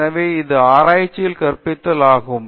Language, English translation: Tamil, So, this is teaching in research